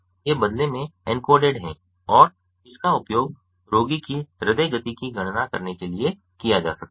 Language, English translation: Hindi, these inturn is encoded and can be used to calculate the heart rate of the patient